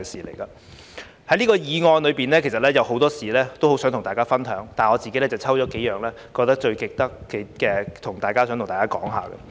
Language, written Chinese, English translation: Cantonese, 就這項議案，其實有很多事情很想跟大家分享，但我自己選了幾件覺得最值得跟大家說說的。, There are actually many things I would like to share with Members in relation to this motion but I have picked a few that I find most worth telling